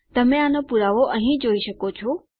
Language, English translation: Gujarati, You can just see evidence of this here